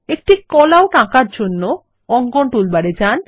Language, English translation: Bengali, To draw a Callout, go to the Drawing toolbar